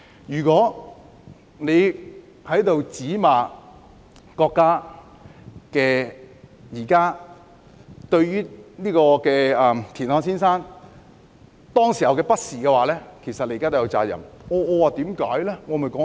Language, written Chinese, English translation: Cantonese, 如果現在罵國家對田漢先生當時的不是，其實你們現在也有責任。, If you criticize the State for treating Mr TIAN Han wrongly at that time actually you people should also be held responsible